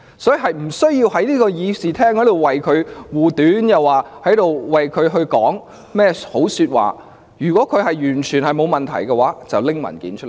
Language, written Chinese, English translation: Cantonese, 所以，他們無須在議事廳上為鄭若驊護短及說好話，如果她完全沒有問題，就把文件交出來吧。, There is no need for them to shield Teresa CHENG from criticism and put in a good word for her in this Chamber . If she is not in the wrong please just hand over the documents